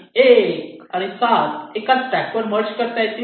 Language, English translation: Marathi, one, seven can be merged in a track